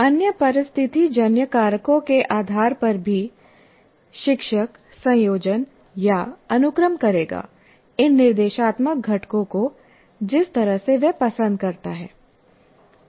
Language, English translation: Hindi, So depending on the other situational factors as well, the teacher will combine or sequence these instructional components in the way he prefers